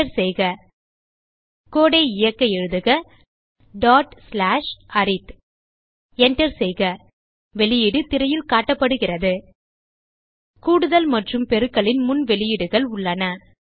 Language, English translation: Tamil, Press Enter To execute the code, type ./arithPress Enter The output is displayed on the screen: We have the previous outputs of addition and multiplication operators